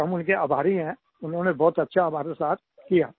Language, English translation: Hindi, We are grateful to them for their compassion